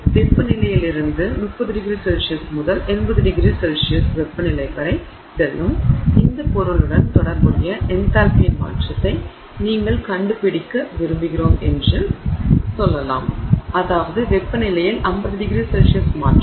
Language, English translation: Tamil, Let's say you want to find out the change in enthalpy associated with this material going from room temperature which may be let's say 30 degrees centigrade to a temperature of 80 degrees centigrade